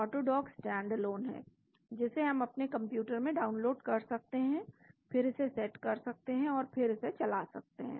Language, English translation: Hindi, AutoDock is stand alone we can download into our computer then set it up and then run it